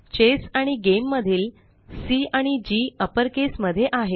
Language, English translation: Marathi, Similarly C and G of ChessGame respectively are in uppercase